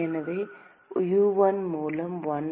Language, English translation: Tamil, So, 1 by U1